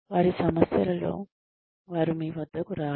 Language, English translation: Telugu, They will not come to you, with their problems